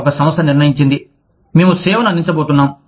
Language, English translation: Telugu, One company decided, that we are going to offer service